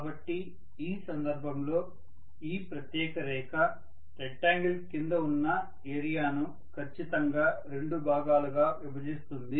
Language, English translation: Telugu, So in this case this particular line divides this area under the rectangle exactly into two halves